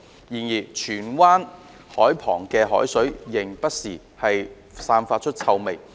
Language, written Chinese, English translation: Cantonese, 然而，荃灣海旁的海水現仍不時散發臭味。, However the seawater near the waterfront of Tsuen Wan still gives off stenches from time to time